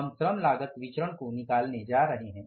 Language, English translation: Hindi, So let us go for the labor cost variance